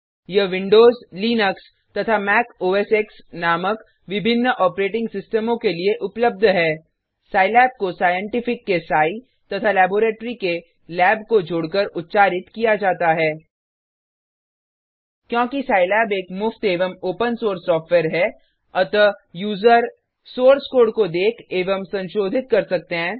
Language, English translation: Hindi, It is available for various operating systems namely Windows, Linux and Mac OS/X Scilab is to be pronounced with Sci as in Scientific and Lab as in Laboratory Because Scilab is a free and open source software , users can: See and modify the source code